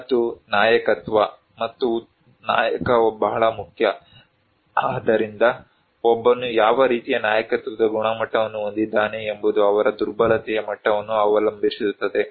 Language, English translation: Kannada, And also the leadership, a good leader is very important, so what kind of leadership quality one carries it depends on their level of vulnerability